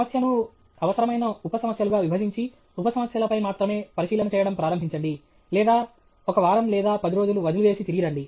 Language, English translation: Telugu, Breakup the problem into essential sub problems and start attacking only the sub problems or just give up for a week or ten days and then get back okay